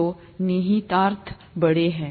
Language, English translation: Hindi, So, the implications are big